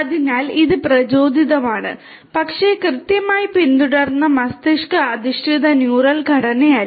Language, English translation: Malayalam, So, you know it is inspired, but not exactly you know brain based neural structure that is followed